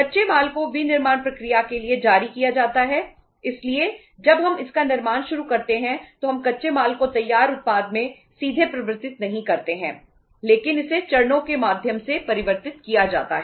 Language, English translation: Hindi, The raw material is issued to the manufacturing process so when we start manufacturing it we do not directly convert the raw material into finished product but it is converted through stages